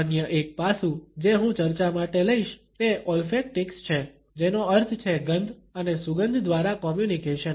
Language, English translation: Gujarati, Another aspect which I would take up for discussion is olfactics which means communication through smell and scent